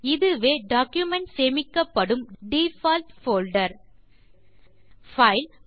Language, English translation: Tamil, This is the default folder in which the document is saved